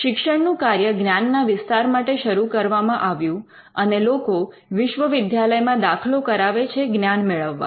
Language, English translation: Gujarati, Now, the teaching function started off as a way to spread knowledge and in fact the reason why people enroll in universities is to gain knowledge